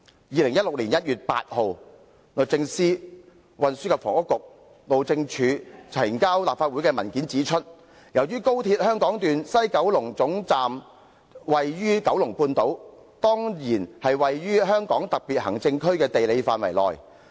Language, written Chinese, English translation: Cantonese, 2016年1月8日，律政司、運輸及房屋局和路政署呈交立法會的文件指出："由於高鐵香港段西九龍總站位處九龍半島，當然是位於香港特別行政區的地理範圍內。, According to the paper submitted to this Council on 8 January 2016 by the Department of Justice the Transport and Housing Bureau and the Highways Department and I quote [S]ince the West Kowloon Terminus of the Hong Kong Section of the XRL is situated in the Kowloon Peninsula it is certainly within the geographical area of the HKSAR